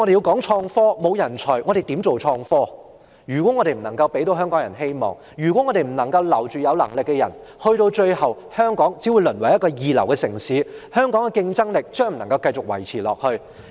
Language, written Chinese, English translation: Cantonese, 如果我們不能給香港人帶來希望，如果我們不能留住有能力的人，香港最終只會淪為一個二流城市，無法再維持香港的競爭力。, If we do not bring hopes to the people of Hong Kong and if we cannot retain capable persons Hong Kong will eventually be reduced to a second - grade city failing to maintain our competitiveness